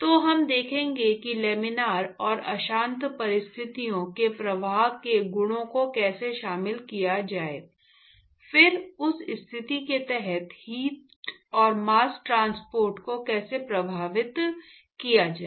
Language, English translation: Hindi, So, we will see how to incorporate the properties of the flow under laminar and turbulent conditions, then how does that affect the heat and mass transport under that situation